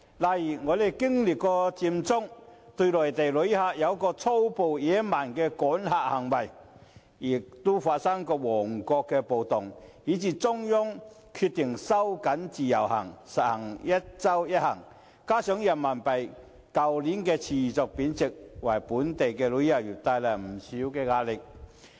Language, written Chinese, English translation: Cantonese, 例如，我們經歷過佔中、對內地旅客有過粗暴野蠻的趕客行為，也發生過旺角暴動，以至中央決定收緊自由行，實行"一周一行"，加上人民幣去年持續貶值，均為本地旅遊業帶來不少壓力。, For example owing to the Occupy Central movement the brutal and barbarous acts of driving Mainland visitors away and the riot that broke out in Mong Kok the Central Authorities had decided to tighten the Individual Visit Scheme IVS and implement the one trip per week measure . Furthermore the continuous depreciation of Renminbi last year has exerted a lot of pressure on our tourism industry